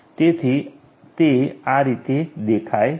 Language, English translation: Gujarati, So, this is how it looks like